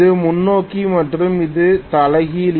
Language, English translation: Tamil, This is forward and this is reverse